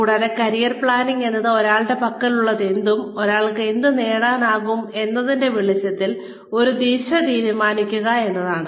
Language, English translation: Malayalam, And, career planning is, deciding on a direction in light of, what one has, and what one can get